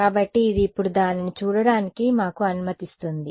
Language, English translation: Telugu, So, this is allowing us to see that now